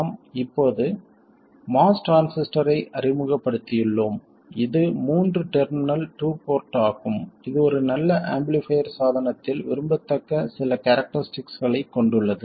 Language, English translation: Tamil, We have just introduced the MOS transistor which is a 3 terminal 2 port which has some of the characteristics desirable in a good amplifier device